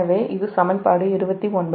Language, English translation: Tamil, so this is equation twenty nine